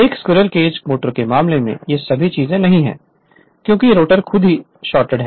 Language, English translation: Hindi, In this case of in that case of squirrel cage motor all these things are not there because rotor itself is shorted